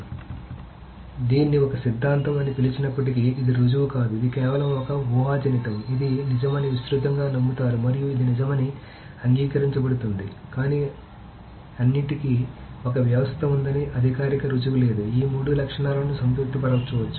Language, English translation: Telugu, So note very importantly that although this is called a theorem, there is no proof, it is just a conjecture that is widely believed to be true and accepted to be true, but there is no formal proof that there cannot be a system where all these three properties can be satisfied